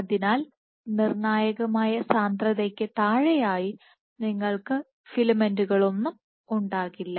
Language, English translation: Malayalam, So, below of critical concentration you will not have any filaments